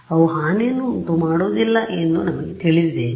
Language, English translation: Kannada, So, we know that they do not cause damage right